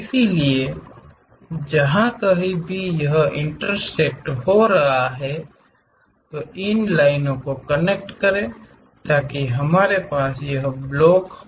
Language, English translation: Hindi, So, wherever it is intersecting connect those lines so that, we will have this block